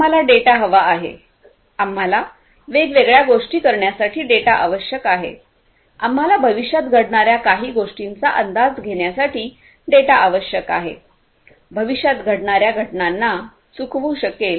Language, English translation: Marathi, We need data, we need data; we need data for doing different things, we need data for predicting something that might happen in the future, miss happenings in the future events and miss events that are going to occur in the future